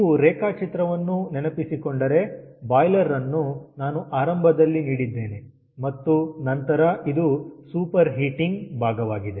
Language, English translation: Kannada, if you remember the schematic diagram of the boiler, i have given ah at the beginning and then again it is the super heating part